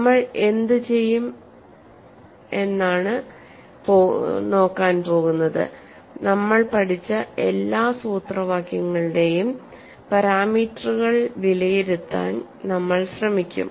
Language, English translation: Malayalam, What we will do is we will try to evaluate the parameters for all the formula that we have learned